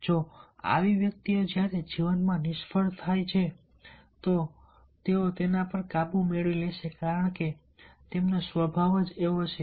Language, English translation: Gujarati, if such persons even the fail in life, they will overcome it because their temperament is like that